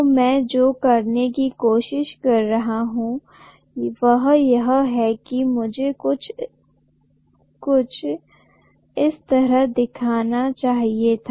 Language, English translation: Hindi, So what I am trying to do is, I am sorry, I should have shown this like this